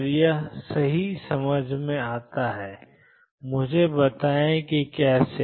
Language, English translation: Hindi, And that makes perfect sense let me explain how